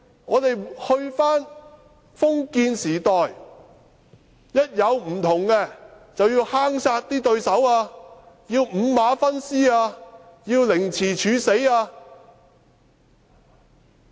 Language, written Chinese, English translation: Cantonese, 我們是否回到封建時代，當有不同意見，便要坑殺對手、五馬分屍或凌遲處死嗎？, Have we returned to the feudal era when dissidents were buried alive torn apart by horses or given a death sentence of body dismemberment?